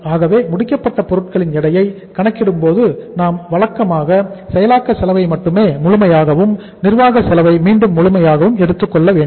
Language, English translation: Tamil, So we should normally while calculating the say weight at the finished goods we should take only the processing cost as full and the administrative cost again as full